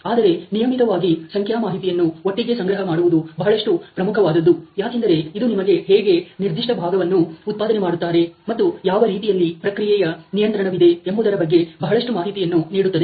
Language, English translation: Kannada, However it is very, very important to gather together this data on regular basis, because this gives you lot of history about how the particular component is being produced and what kind be the process control